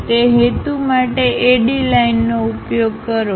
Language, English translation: Gujarati, For that purpose use AD lines